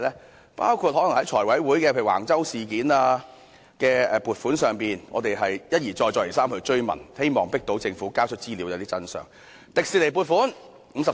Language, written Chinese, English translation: Cantonese, 當中包括財務委員會審議橫洲發展的撥款申請時，我們一而再，再而三追問，希望迫使政府交出資料，得知真相。, We have repeatedly posed questions on the funding applications for Wang Chau development when they were vetted by the Finance Committee with a view to forcing the Government to produce more information and uncovering the truth